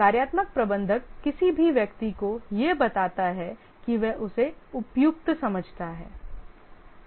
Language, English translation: Hindi, The functional manager assigns any person that he thinks suitable